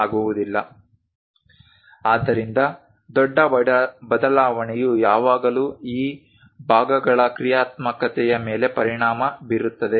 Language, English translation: Kannada, So, a large variation always affects the functionality of this parts